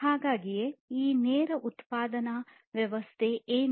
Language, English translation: Kannada, So, what is this lean production system